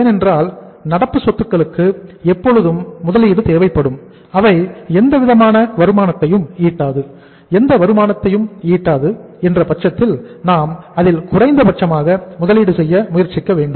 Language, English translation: Tamil, Because current assets are only requiring investment they do not produce any kind of the returns and if there is no return available on this investment then we should try to minimize the investment in the current assets